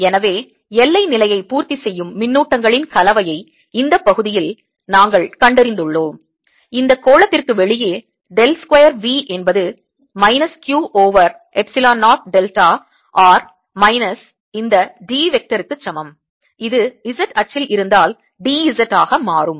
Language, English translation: Tamil, so we have found this combination of charges that satisfies the boundary condition and in this region, outside this sphere del square, v is also equal to minus q over epsilon, zero delta r minus this d vector, if it is on the z axis, it'll become d